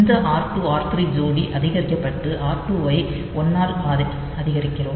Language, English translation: Tamil, So, we do not have this r 2 to be added again